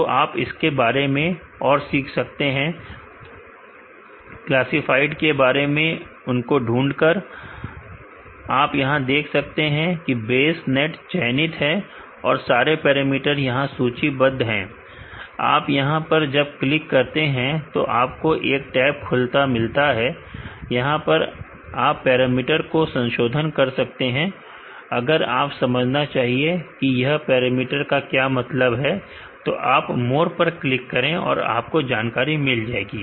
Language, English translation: Hindi, So, you can learn more about this each classifier by selecting them, you will see the Bayes net is selected here and, the parameters are listed here you can click on that you can see a tab opened, you can modify the parameters here, if you want to understand what this parameter mean you can click on more look at the details